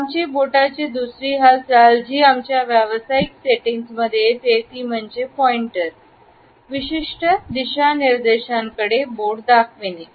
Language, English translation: Marathi, Another common finger movement, which we come across in our professional settings, is the pointer, the finger pointing at certain directions